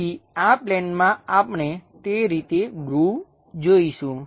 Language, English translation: Gujarati, So, on this plane, we will see groove in that way